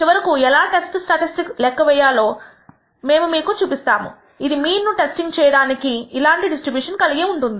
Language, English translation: Telugu, We will show you how to construct a test statistic that finally, has this kind of a distribution for testing the mean